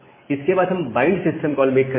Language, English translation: Hindi, Then we make the bind system call